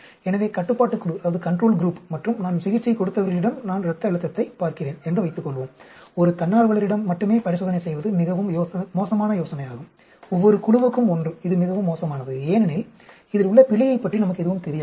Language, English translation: Tamil, So, suppose I am looking at blood pressure on control group and those we treated, it is very bad idea to just do experiment with only one volunteer, one of each, that is very bad because we have no idea about the error involved